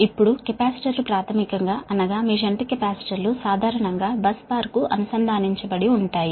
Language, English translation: Telugu, now, capacitors, basically you will find shunt capacitors is generally connected to a bus bar